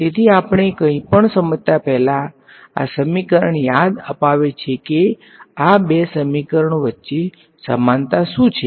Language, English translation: Gujarati, So, before we get into anything does this equation remind what are the similarities between these two equations are any similarities